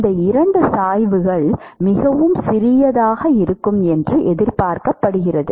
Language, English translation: Tamil, These 2 gradients are expected to be very small